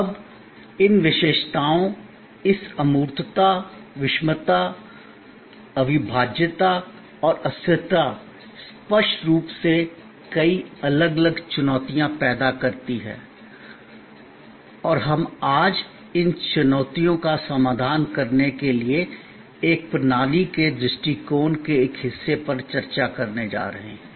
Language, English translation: Hindi, Now, these characteristics, this intangibility, heterogeneity, inseparability and perishability, obviously creates many different challenges and we are going to discuss today one part of a system's approach to address these challenges